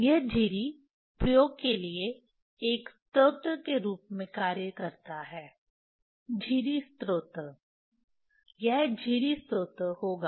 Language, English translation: Hindi, This slit act as a source for the experiment, slit source, it will slit source